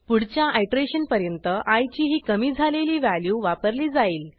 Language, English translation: Marathi, i will adopt this decremented value before the next iteration